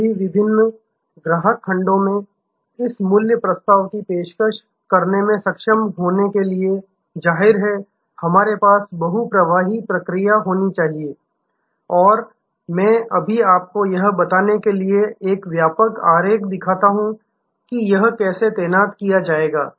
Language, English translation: Hindi, To be able to offer this value proposition across all the different customer segments; obviously, we have to have a multichannel process and I just now show you a comprehensive diagram to explain how this will be deployed